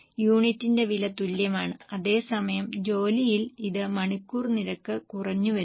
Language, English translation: Malayalam, The cost per unit is same whereas in labour it had fallen hourly rate